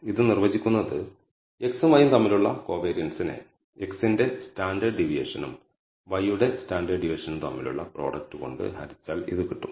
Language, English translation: Malayalam, Where we are essentially taking same thing that we did before the covariance between x and y divided by the standard deviation of x and the standard deviation of y